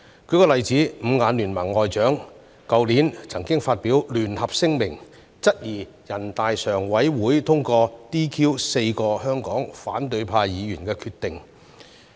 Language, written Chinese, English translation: Cantonese, 舉例而言，"五眼聯盟"外長去年曾發表聯合聲明，質疑人大常委會通過 "DQ" 4名香港反對派議員的決定。, Let me cite an example . Last year the foreign ministers of the Five Eyes countries issued a joint statement questioning the decision passed by the Standing Committee of the National Peoples Congress to disqualify four Members from the opposition camp in Hong Kong